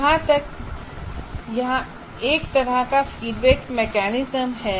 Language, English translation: Hindi, So there is a kind of a feedback mechanism here